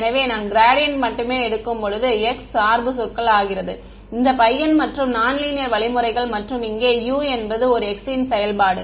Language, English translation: Tamil, So, when I take the gradient only the x dependent terms are this guy and non linear means over here U is a function of x